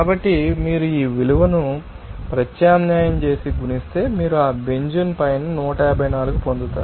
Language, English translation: Telugu, So, if you substitute this value and then multiply it you will get this 154 you know top of that benzene